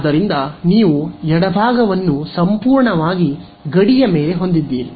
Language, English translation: Kannada, So, you have the left hand side is purely over the boundary